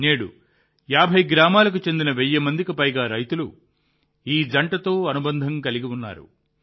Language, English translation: Telugu, Today more than 1000 farmers from 50 villages are associated with this couple